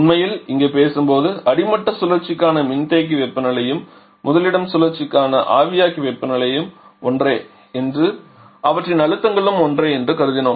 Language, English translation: Tamil, Truly speaking the here we have assumed that the condenser temperature for the bottoming cycle and evaporator temperature for the talking cycles are same and their pressures are so same